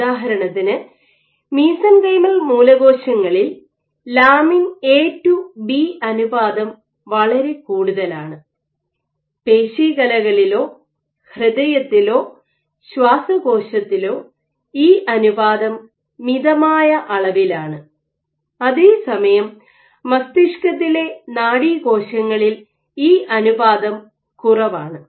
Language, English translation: Malayalam, So, in for example, in mesenchymal stem cells they have high lamin A to B ratio, in muscle cells muscle or heart or lung you have moderate levels of lamin A to B ratio, while in brain cells neuronal cells you have low and here